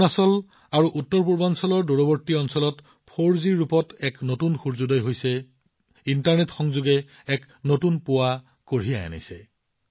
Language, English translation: Assamese, There has been a new sunrise in the form of 4G in the remote areas of Arunachal and North East; internet connectivity has brought a new dawn